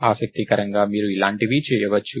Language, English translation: Telugu, Interestingly you can do something like this